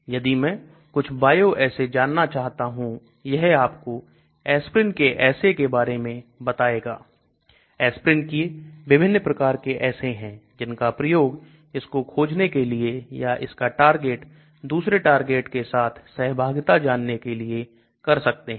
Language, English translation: Hindi, If I want to know some bioassays ,it tells you some assay for aspirin various types of assays for aspirin either to detect aspirin or look at assays for its interaction with different targets